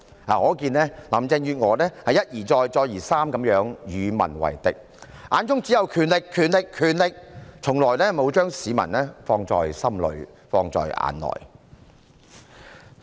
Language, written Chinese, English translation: Cantonese, 可見林鄭月娥一而再，再而三地與民為敵，眼中只有權力、權力、權力，從來沒有將市民放在心裏、放在眼內。, It is evident that Carrie LAM has acted as an enemy of the people again and again . In her eyes there is only power . She never keeps the people in her mind or gives them any regard